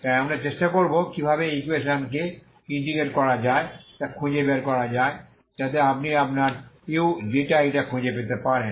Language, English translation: Bengali, So we will try to see how to find how to integrate this equation so that you can find your uξ η